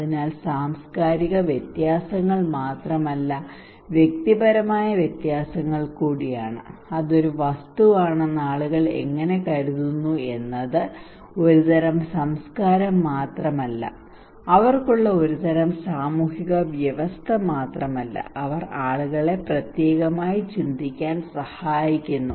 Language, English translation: Malayalam, So it is not only cultural differences but also individual personal differences for a role that how people think it was one object differently not only one category of culture not only one kind of social system they have, they groom people to think in particular way but also individual because of several other reasons they have their own mind